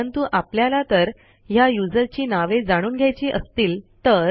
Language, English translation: Marathi, But what if we need to know the names of the users